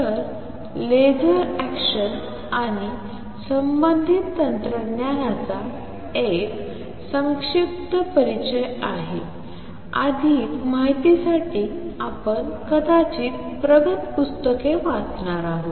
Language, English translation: Marathi, So, this is a brief introduction to the laser action and the related technology right for more details you may going to read you know advanced books